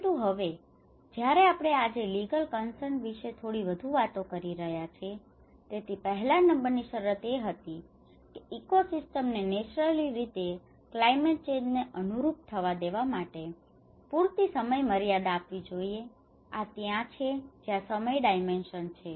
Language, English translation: Gujarati, But now, when we are today we are talking a little more of a legal concern as well so, the number 1 condition that it should take place within a time frame sufficient to allow ecosystems to adapt naturally to climate change, this is where the time dimension